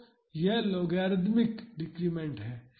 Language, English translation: Hindi, So, this is the logarithmic decrement